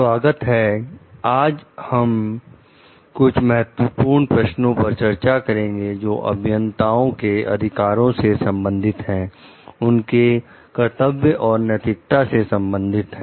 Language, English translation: Hindi, Welcome, today we will discuss some Key Questions relating to Engineers Rights, Duties and Ethics